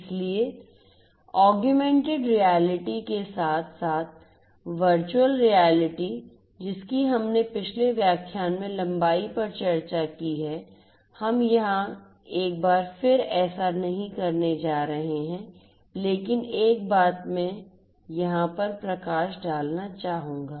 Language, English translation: Hindi, So, augmented reality as well as virtual reality we have discussed in length in a previous lecture we are not going to do that once again over here, but one thing I would like to highlight over here